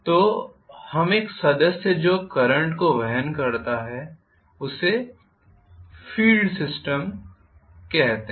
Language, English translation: Hindi, So, we call one of the members which carries the current is as the field system